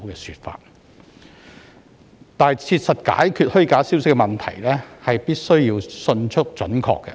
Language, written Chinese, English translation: Cantonese, 要切實解決虛假消息的問題，動作必需迅速及準確。, To practically address the issue of false information actions must be taken promptly and accurately